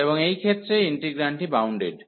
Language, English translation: Bengali, And in this case, the integrand is bounded